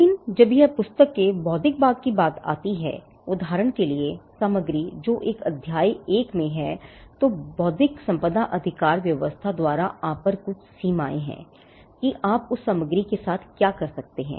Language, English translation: Hindi, But when it comes to the intellectual part of the book, for instance, content that is in chapter one there are limitations put upon you by the intellectual property rights regime as to what you can do with that content